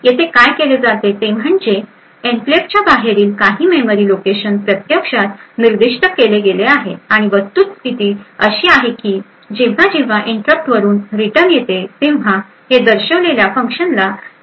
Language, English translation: Marathi, So, what is done here is that some memory location outside the enclave is actually specified and the fact is whenever so it would typically point to a function which gets invoked whenever there is a return from the interrupt